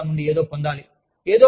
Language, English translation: Telugu, They need to get something, out of the program